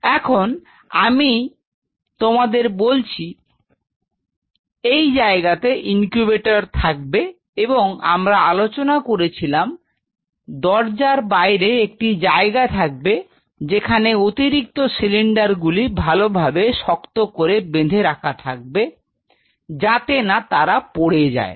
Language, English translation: Bengali, So, now I have already talked to you like these are the places for the incubator, and we talked about that just outside the door or somewhere out here you will have the place for the extra cylinders which should be you know tied up or kept in proper friends